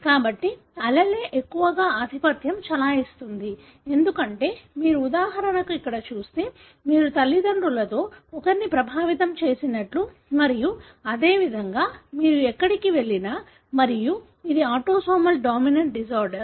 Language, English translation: Telugu, So, the allele is most likely dominant, because if you look into, for example here, then you would find one of the parents affected and likewise anywhere that you go on and so on and this is obviously an autosomal dominant disorder